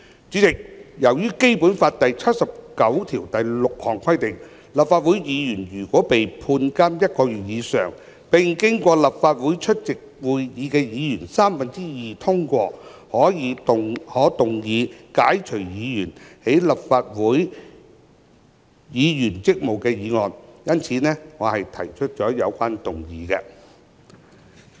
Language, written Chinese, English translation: Cantonese, 主席，由於根據《基本法》第七十九條第六項規定，立法會議員如被判監1個月以上，並經過立法會出席會議的議員三分之二通過，可動議解除議員的立法會議員職務的議案。因此，我提出有關議案。, President since according to Article 796 of the Basic Law when a Member of the Legislative Council is convicted and sentenced to imprisonment for one month or more he or she shall be relieved of his or her duties by a motion passed by two - thirds of the Members of the Legislative Council present I thus move the motion concerned